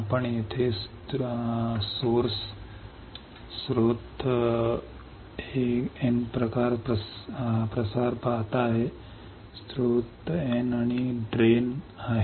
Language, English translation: Marathi, You see here source N type diffusion right this is the source N and drain